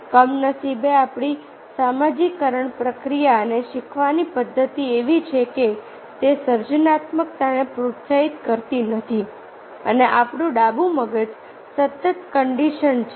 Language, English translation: Gujarati, unfortunately, our socialization process and learning system is such that those do not encourage our creativity and our left brain continuously conditioned